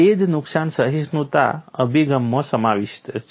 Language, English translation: Gujarati, That is what damage tolerance approach encompasses